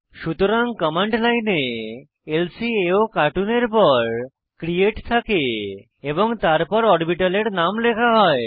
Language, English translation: Bengali, So, the command line starts with lcaocartoon, followed by create and the name of the orbital